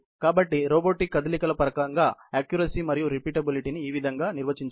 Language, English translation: Telugu, So, this is how accuracy and repeatability can be defined in terms of robotic motions